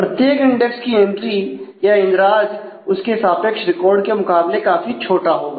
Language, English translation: Hindi, So, the entry of every index would be much smaller than the corresponding record